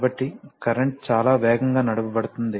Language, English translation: Telugu, So, current can be driven pretty fast